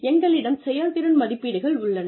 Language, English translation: Tamil, We have performance appraisals